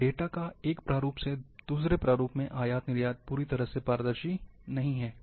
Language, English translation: Hindi, Export import of the data, from one format to another, is also not fully transparent